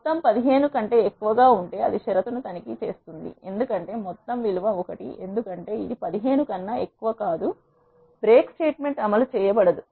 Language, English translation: Telugu, And it checks the condition if sum is greater than 15 because sum value is 1 it is not greater than 15 the break statement will not be executed